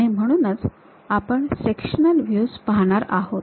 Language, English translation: Marathi, Now, we will look at half sectional views